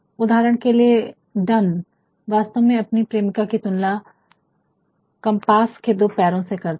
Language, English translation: Hindi, For example, done actually compares the lovers to a pair ofthe two legs of a compass is not it